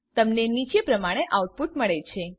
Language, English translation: Gujarati, You get the following output